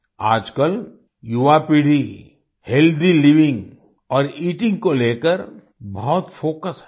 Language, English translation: Hindi, Nowadays, the young generation is much focused on Healthy Living and Eating